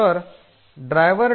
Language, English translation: Marathi, So, see the driver